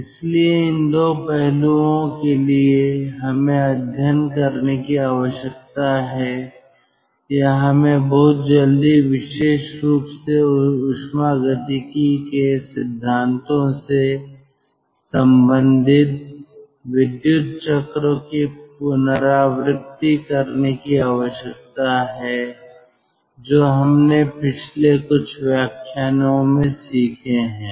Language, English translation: Hindi, so for this two aspect we need to study ah or we need to have a ah recap of the power cycles very quickly ah, particularly ah relating it to the thermodynamic principles which we have learned for the last few lectures